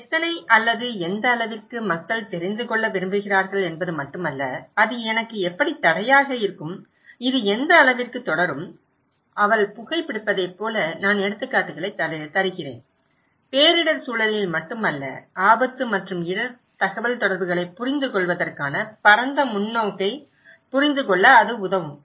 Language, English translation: Tamil, And not only how many or what extent but people want to know, that how that will hamper me okay, what extent that this will continue, like she may be smoking, well I am giving examples is not only in disaster context, it will help us to understand the broader perspective of understanding the risk and risk communication